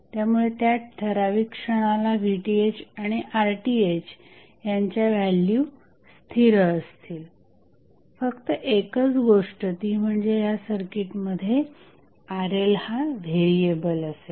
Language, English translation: Marathi, So, for that particular instance the value of Rth and Pth will remain fixed, the only thing which is variable in this circuit is Rl